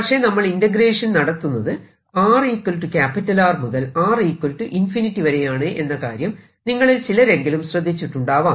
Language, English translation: Malayalam, but some of you may have noticed that i am doing an integration from r equal to radius upto infinity